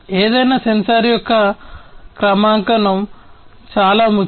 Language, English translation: Telugu, Calibration of any sensor is very important